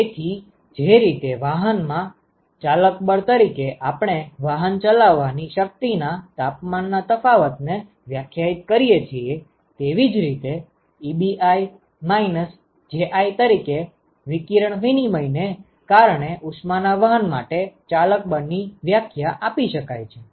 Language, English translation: Gujarati, So, very similar to the way we define driving force in conduction the temperature difference as a driving force in conduction, one could define a driving force for heat transport due to radiation exchange as Ebi minus Ji